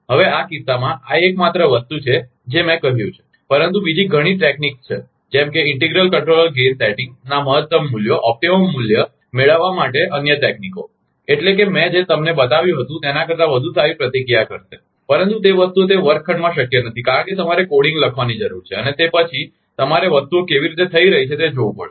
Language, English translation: Gujarati, Now, in that case, this is the only thing I have told, but there are many other techniques, like many other techniques to obtain the optimum values of integral controller gain settings, that is, that will give much better response than what I had been shown, but those things are not possible in that classroom because you need to write coding and then, you have to see the, how things are happening